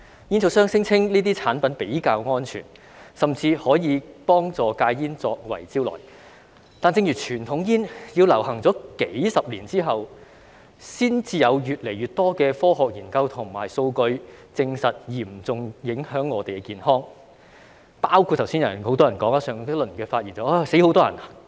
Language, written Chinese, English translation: Cantonese, 煙草商聲稱這些產品比較安全，甚至以可以幫助戒煙作為招徠，但正如傳統煙也是在流行數十年之後，才有越來越多的科學研究和數據，證實會嚴重影響我們的健康——在上一輪發言時，很多人說會有很多人死亡，但吸煙才真正會導致很多人死亡。, Tobacco companies claim that these products are safer and even tout them as quit - smoking aids . But just like the case of conventional cigarettes it was decades after conventional cigarettes had become popular that more and more scientific studies and data confirmed that those products would seriously affect our health . Many Members said in the previous round that many people would die yet smoking is the real cause of lots of deaths